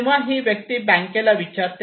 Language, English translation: Marathi, So this person asked the bank